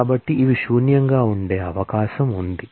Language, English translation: Telugu, So, it is possible that these could be null